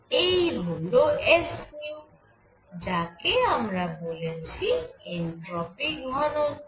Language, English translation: Bengali, This is s nu, this is the entropy density